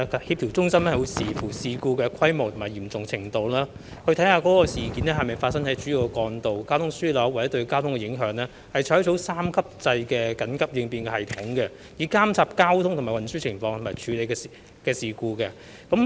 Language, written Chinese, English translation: Cantonese, 協調中心會視乎事故的規模及嚴重程度，事件是否發生在主要幹道或交通樞紐，以及事件對交通的影響，採用三級制緊急應變系統，以監察交通運輸情況並處理事故。, The coordination centre adopts an emergency response system and will operate under three different modes depending on the scale and severity of the incident whether the incident occurred on a trunk road or transportation hub and the impact of the incident on traffic to monitor traffic and transport situation and handle the incident